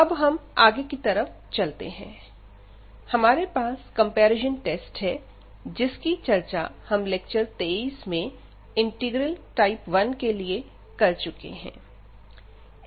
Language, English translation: Hindi, So, moving now to the next, we have the comparison test the similar to the one which we have already discussed in previous lecture for integral type 1